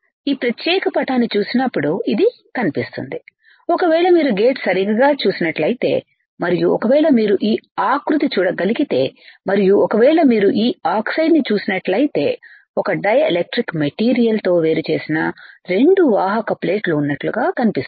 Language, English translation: Telugu, It looks like when we when we see this particular figure this one, it looks like if you see gate right and if you see this body, and if you see this oxide looks like there is 2 conducting plates separated by a dielectric material